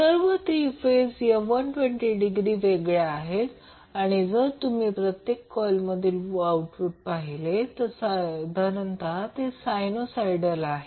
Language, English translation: Marathi, So, now, all these 3 phases are 120 degree apart and the output which you will see in the individual coil is almost sinusoidal